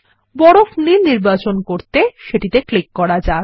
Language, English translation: Bengali, Let us choose Ice Blue, by clicking on it